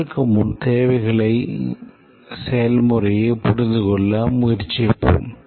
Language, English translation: Tamil, Before that, let's try to understand the requirements process